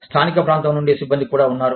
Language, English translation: Telugu, There is also the staff, from the local area